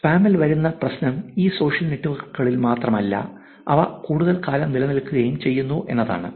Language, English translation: Malayalam, The problem with that comes with the spam is that it is not only high in these social networks, but there are actually they also stay for longer